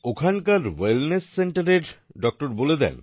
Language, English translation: Bengali, The doctor of the Wellness Center there conveys